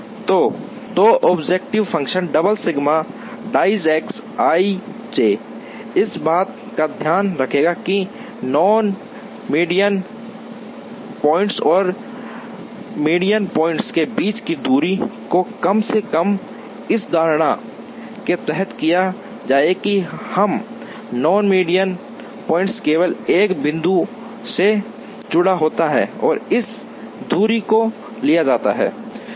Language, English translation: Hindi, So, the objective function double sigma d i j X i j would take care of, minimizing the distance between the non median points and the median points under the assumption that, every non median point is attached to only one median point and that distance is taken